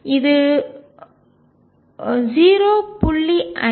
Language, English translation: Tamil, Which comes out to be 0